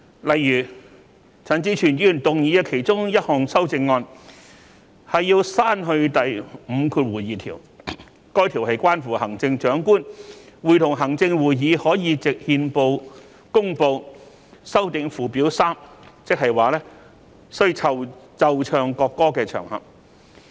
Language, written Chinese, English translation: Cantonese, 例如，陳志全議員動議的其中一項修正案要刪去第52條，該條文關乎行政長官會同行政會議可以藉憲報公告修訂附表 3， 即需奏唱國歌的場合。, For example one of the amendments proposed by Mr CHAN Chi - chuen seeks to delete clause 52 which provides that the Chief Executive in Council may by notice published in the Gazette amend Schedule 3 which provides for occasions on which the national anthem must be played and sung